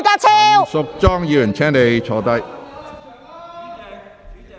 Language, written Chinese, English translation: Cantonese, 陳淑莊議員，請坐下。, Ms Tanya CHAN please sit down